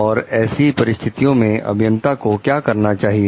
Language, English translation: Hindi, And what the engineer is supposed to do in those type of situations